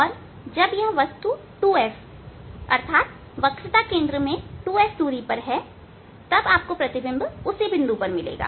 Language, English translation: Hindi, When this object is at 2f means at the centre of curvature 2f distant, so you will get the image at the same point